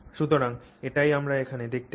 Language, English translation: Bengali, So, that's what we see here